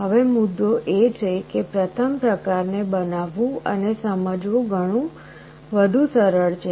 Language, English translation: Gujarati, Now the point is that the first type is easier to build and understand